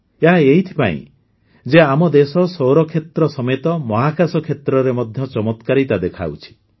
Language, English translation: Odia, That is because our country is doing wonders in the solar sector as well as the space sector